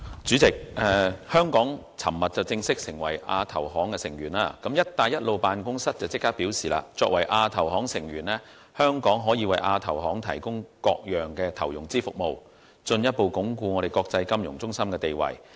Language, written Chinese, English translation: Cantonese, 主席，香港在昨天正式成為亞洲基礎建設投資銀行成員，辦公室立即表示作為亞投行成員，香港可以為亞投行提供各種投融資服務，進一步鞏固其國際金融中心地位。, President yesterday Hong Kong officially became a member of the Asian Infrastructure Investment Bank AIIB . BRO immediately stated that as a member of AIIB Hong Kong can provide AIIB with various types of investment and financing services further consolidating its status as an international financial centre